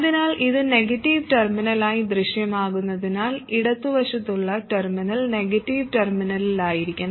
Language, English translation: Malayalam, So, this appears to be the negative terminal